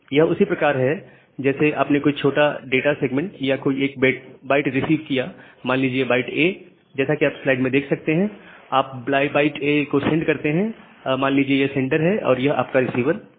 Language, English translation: Hindi, So, it is just like that, you have received a small data segment or single bytes you have received byte A, you send that byte A from the sender say this is the sender and this is your receiver